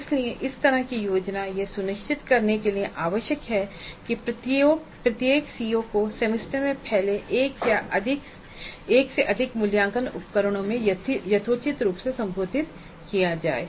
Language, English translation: Hindi, So this kind of a plan is essential in order to ensure that every CO is addressed reasonably well in one or more assessment instruments spread over the semester